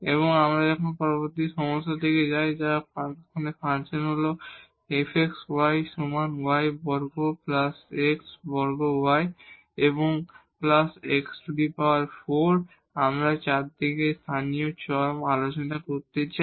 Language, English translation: Bengali, And now we move to the next problem which is the function here f x y is equal to y square plus x square y and plus x 4 we want to discuss 4 local extrema